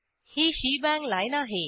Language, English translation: Marathi, This is shebang line